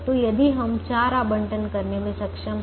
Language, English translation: Hindi, so we are able to make three assignments